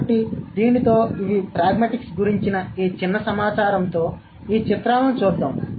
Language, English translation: Telugu, So, with this, these are, with this tiny bit of information about pragmatics, let's look at these pictures, okay